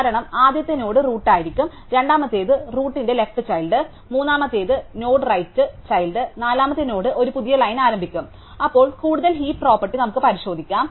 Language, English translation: Malayalam, Because, the first node will be the root, the second will be the roots left child, third node will be the right child and the fourth node will start a new line, then more over we can check the heap property